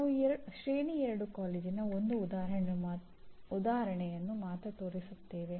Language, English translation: Kannada, Now we show only one example of Tier 2 college